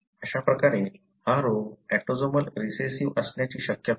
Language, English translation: Marathi, Thus it is unlikely that this disease is autosomal recessive